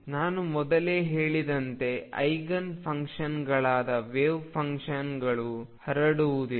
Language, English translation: Kannada, As I said earlier the wave functions that are Eigen functions do not have a spread